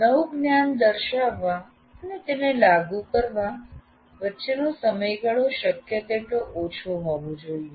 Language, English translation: Gujarati, As we said, the time gap between demonstrating new knowledge and applying that should be as small as possible